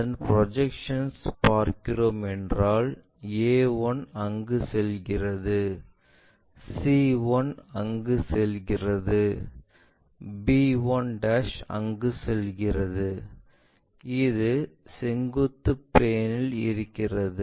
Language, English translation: Tamil, Now, their projections if we are looking, let us look at their projections a 1 goes there, c 1 goes there, b 1' goes there, we want to keep this on the vertical plane